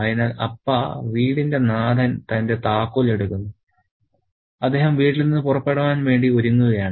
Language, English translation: Malayalam, So, Appa, the head of the household is getting his keys and he is getting ready to leave the house